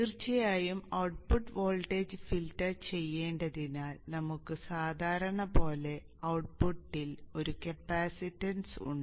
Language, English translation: Malayalam, And of course we have a capacitance at the output as usual because we need to filter the output voltage